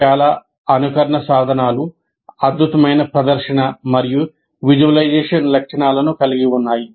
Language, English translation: Telugu, Many simulation tools have good presentation and visualization features as well